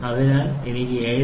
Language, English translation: Malayalam, So, I have 7